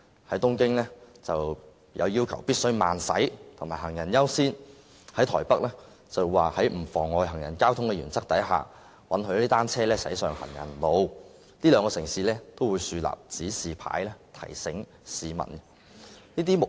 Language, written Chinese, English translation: Cantonese, 在東京，政府要求單車必須慢駛及讓行人優先，而台北政府則是在不妨礙行人和交通的原則下，允許單車駛上行人路，這兩個城市均會豎立指示牌，提醒市民有關情況。, In Tokyo the Government requires cyclists to ride their bikes at a slow speed and give way to pedestrians whereas the Taipei Government allows bicycles to travel on pavements on the principle of not obstructing the pedestrians and traffic . Both cities have erected signs to remind the public of the relevant situations